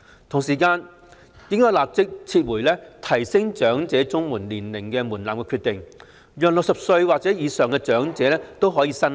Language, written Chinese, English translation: Cantonese, 同時，政府應立即撤回提高領取長者綜援年齡門檻的決定，讓60歲或以上的長者均可申領。, Meanwhile the Government should immediately withdraw the decision to raise the age threshold for elderly CSSA so that elderly persons aged 60 or above may also apply